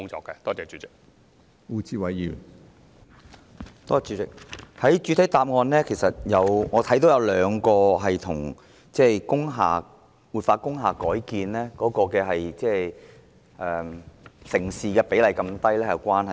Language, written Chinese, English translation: Cantonese, 主席，在局長的主體答覆中，我看到有兩項因素是與活化及改建工廈的成事比率如此低有關的。, President in the Secretarys main reply I can see two factors contributing to the low successful rate of the revitalization and conversion of industrial buildings